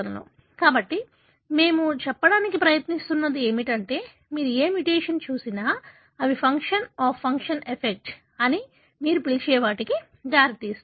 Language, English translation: Telugu, So, what we are trying to say is regardless what mutation you see, they wouldlead to what you call as loss of function effect